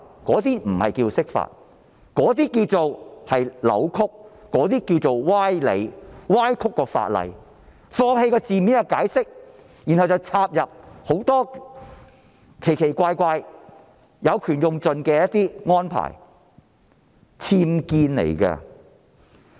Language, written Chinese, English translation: Cantonese, 這不是釋法，而是扭曲、歪理，是歪曲了法例，放棄字面的解釋，然後插入很多奇奇怪怪、有權用到盡的安排，這是僭建。, This is not an interpretation of the Law but a distortion and sophistry of the Law . This is a distortion of the Law by abandoning the literal interpretation and adding a lot of strange meanings and peculiar arrangements to exploit their power to the fullest . These are comparable to unauthorized building works